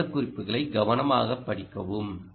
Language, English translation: Tamil, find them, read this specifications carefully